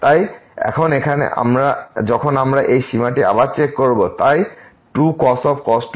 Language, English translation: Bengali, So now, here when we check this limit again so, times the and goes to